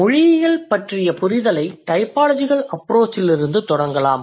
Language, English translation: Tamil, So let's let's begin with the understanding of linguistics from a typological approach